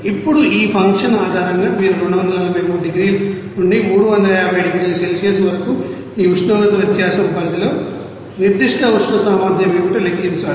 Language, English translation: Telugu, Now, based on these you know function you have to calculate what should be the specific heat capacity within a range of this temperature difference up to 243 to 350 degree Celsius